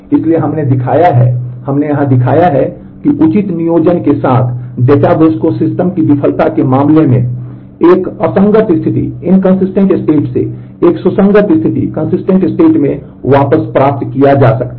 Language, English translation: Hindi, So, we have shown that with we have shown here that with proper planning, a database can be recovered back to a consistent state from an inconsistent state, in case of system failure